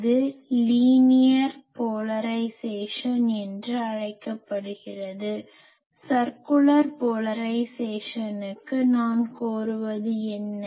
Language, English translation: Tamil, This is called linear polarisation For circular polarisation; what I demand